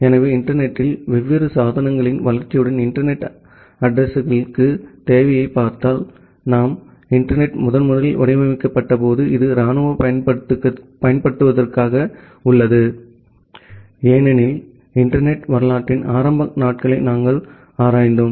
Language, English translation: Tamil, So, if you look into the demand of internet addresses as there is with the grow of different devices in the internet; so, when the internet was first designed it was meant for military applications, as we have looked into the early days of internet history